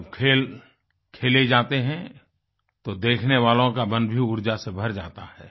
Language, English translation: Hindi, When a game is being played, the spectators too experience a rush of energy in their beings